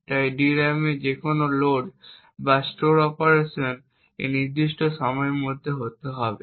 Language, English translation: Bengali, So any load or a store operation to a DRAM has to be within this particular time period